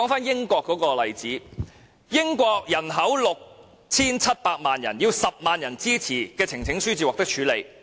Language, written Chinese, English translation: Cantonese, 英國人口有 6,700 萬人，要10萬人支持，呈請書方能獲處理。, The United Kingdom has a population of 67 million and a petition will be considered for a debate only if it is supported by at least 100 000 people